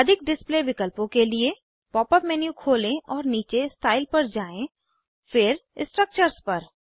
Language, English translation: Hindi, For more display options, Open the pop up menu and scroll down to Style, then to Structures